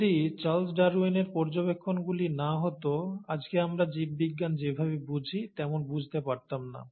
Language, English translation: Bengali, Had it not been for Charles Darwin’s observations, we would not understand biology the way we understand it today